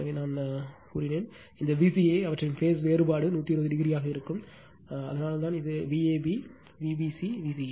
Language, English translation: Tamil, So, I told you that V a b, V b c that this V c a, their phase difference will be 120 degree right, but the so that is why this is V a b, this is V b c, this is V ca